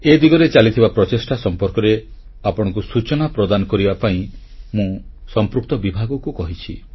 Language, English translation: Odia, I have instructed the concerned department to convey to you efforts being made in this direction